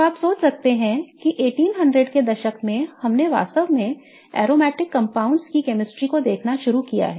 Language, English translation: Hindi, So, you can imagine that from 1800s we have really started looking at the chemistry of aromatic compounds